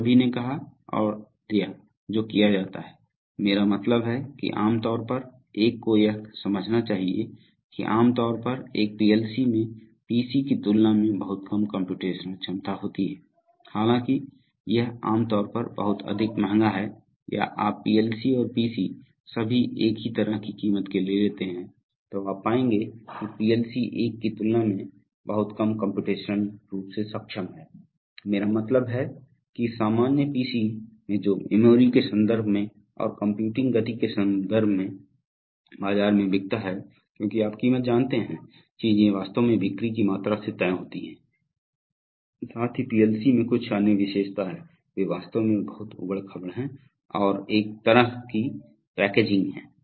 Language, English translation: Hindi, So, but all said and done for a given, I mean typically one must understand that, typically a PLC has much less computational capability compared to a PC, although it is generally much more expensive or that is, if you take PLC's and PC’s of the same kind of price, then you would find that the PLC is much less computationally capable compared to a, I mean the normal PC which sells in the market both in terms of memory and in terms of computing speeds that is because, you know price of things get actually decided by the sales volume, plus the PLC has certain other feature, there, they are actually very rugged and they are a different kind of packaging